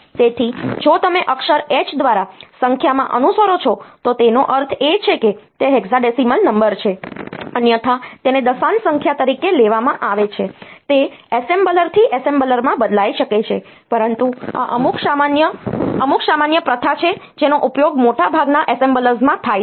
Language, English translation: Gujarati, So, if you follow in number by the character H; that means, it is hexadecimal number otherwise it is taken as a decimal number of course, it can vary from assembler to assembler, but this is some common convention that is used in most of the assemblers